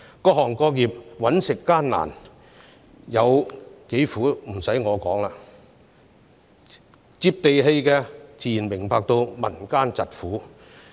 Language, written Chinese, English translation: Cantonese, 各行各業謀生艱難，有多苦已不需由我來說，"接地氣"的自然明白民間疾苦。, I do not need to tell you how hard it is for people from all walks of life to make a living and naturally those who are down to earth do understand the plight of the people